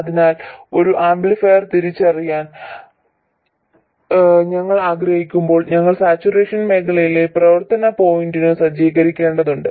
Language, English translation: Malayalam, So when we want to realize an amplifier we have to set the operating point in this region, in the saturation region